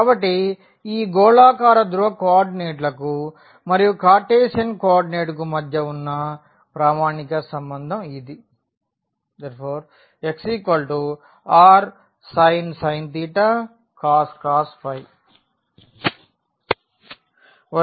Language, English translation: Telugu, So, that is the standard relation between this spherical polar coordinates and the Cartesian co ordinate